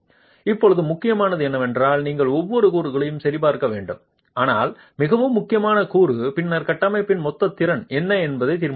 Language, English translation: Tamil, Now what is important is you need to check for every component but the most critical component then determines what is the total capacity of the structure